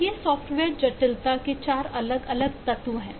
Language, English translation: Hindi, so these are 4 different elements of software complexity